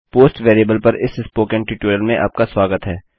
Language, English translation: Hindi, Welcome to the Spoken Tutorial on Post variable